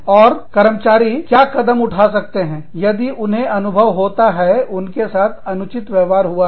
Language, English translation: Hindi, And, what action, can employees take, if they feel, they have been treated unfairly